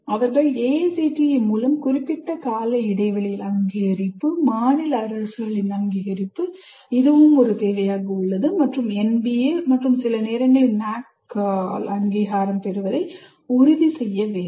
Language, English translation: Tamil, Have to ensure periodic recognition by AICTE, state governments, which is a requirement and accreditation by NBA and sometimes by NAC